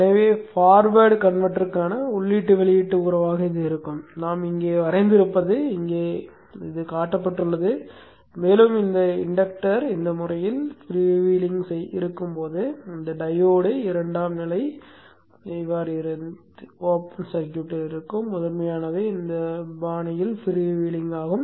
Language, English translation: Tamil, So this would be the the input output relationship for the forward converter that we have drawn shown here and when this inductor when the inductor when the inductor here is freewheeling in this fashion, this diode is off, secondary is open, the primary is also freewheeling in this fashion